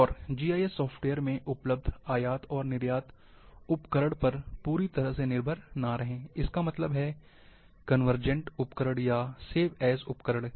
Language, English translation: Hindi, And do not completely depend on export and import tools available in GIS software; that means, the convergent tools, or save as tools